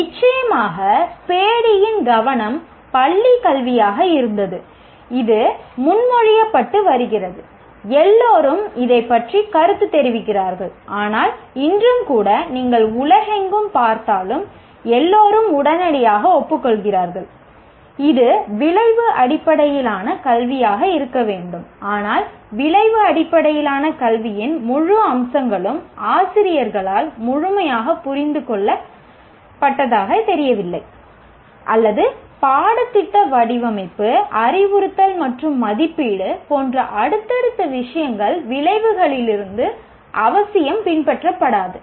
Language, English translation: Tamil, And of course, Paddy's focus was school education and this has been being proposed and everybody comments on this but even today even if you look around the world while everybody readily agrees it should be outcome based education but the full features of outcome based education and are not do not seem to have been fully understood by the teachers, nor the subsequent thing like curriculum design, instruction and assessment do not necessarily follow from the outcomes